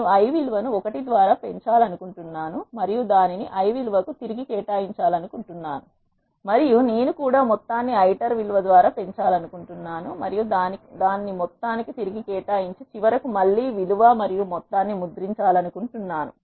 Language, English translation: Telugu, I want to increment the i value by 1 and then reassign it to the value i and I also want to increase the sum by the iter value and then reassign it to sum and then finally, print the iteration value and the sum